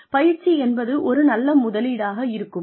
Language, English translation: Tamil, Is training, a good investment